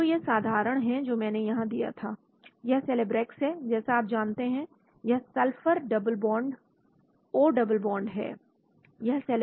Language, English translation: Hindi, So this is simple which had given here , this is Celebrex as you know this sulphur double bond O double bond O